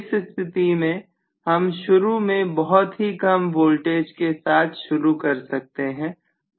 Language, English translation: Hindi, So under this condition, I can initially start off with very very small amount of voltage